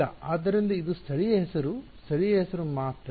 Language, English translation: Kannada, So, this is a local name only a local name